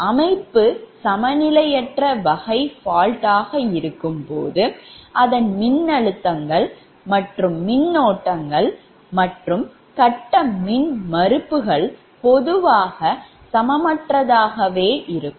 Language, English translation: Tamil, but when the system is unbalanced, the voltages, currents and the phase impedances are in general unequal